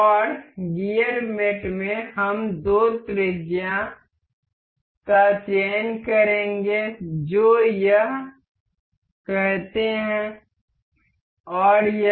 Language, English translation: Hindi, And in the gear mate we will select the two radius say this and this